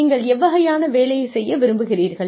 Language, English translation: Tamil, What kind of work, do you want to do